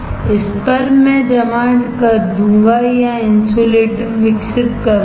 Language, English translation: Hindi, On this, I will deposit or I will grow insulator, alright